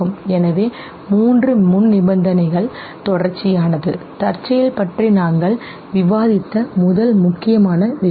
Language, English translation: Tamil, So the three prerequisites contiguity, the first important thing that we discussed contingency